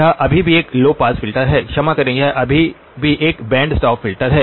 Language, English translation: Hindi, It is still a low pass filter sorry it is still a band stop filter